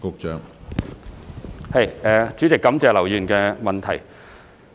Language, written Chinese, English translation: Cantonese, 主席，感謝劉議員的質詢。, President I thank Mr LAU for his question